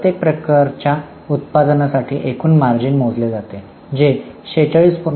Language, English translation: Marathi, So, for each type of product line, a gross margin is calculated, which is 46